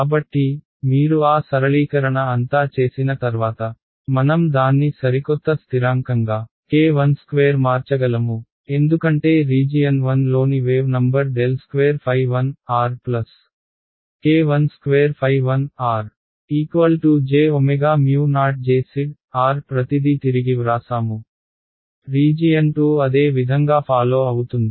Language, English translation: Telugu, So, once you do all that simplification I can just condense it into a new constant k 1 squared as the wave number in the region 1 phi 1 r is equal to I will get a j omega mu naught J z r just rewritten everything, region 2 is follow the same recipe ok